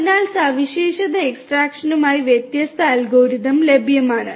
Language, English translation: Malayalam, So, there are different different algorithms that are available for feature extraction